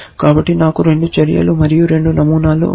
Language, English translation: Telugu, So, I have 2 actions and 2 patterns